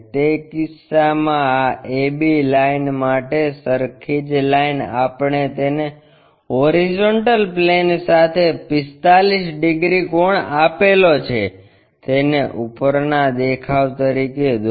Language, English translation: Gujarati, In that case this a b line for the same line we make it 45 degrees angle with the horizontal plane draw it as a top view